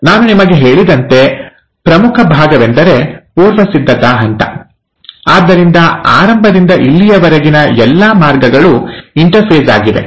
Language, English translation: Kannada, So, the major part as I told you is the preparatory phase, so all the way from the beginning till here is the interphase